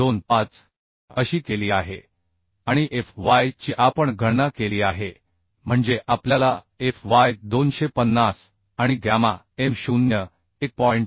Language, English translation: Marathi, 25 and fy we have calculated as means we know fy as 250 and gamma m0 as 1